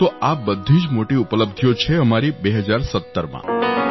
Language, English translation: Gujarati, So, this is our achievement in 2017